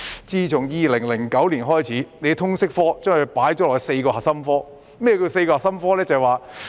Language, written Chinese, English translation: Cantonese, 自2009年起，政府將通識教育科列為4個核心科目之一。, Since 2009 the Government has included the subject of Liberal Studies LS as one of the four core subjects